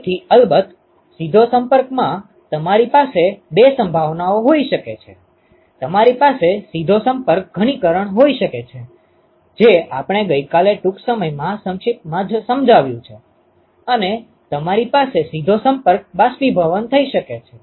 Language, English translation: Gujarati, So, of course, in direct contact you can have two possibilities, you can have direct contact condensation, which we already briefly explained yesterday and you can have a direct contact vaporization